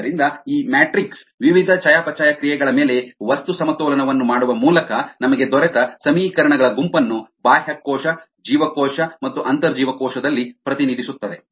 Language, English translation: Kannada, therefore, this matrix represents the set of equations that we got by doing material balances on the various metabolites, on the cell, extracellular and intracellular